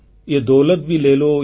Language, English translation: Odia, Ye daulat bhi le lo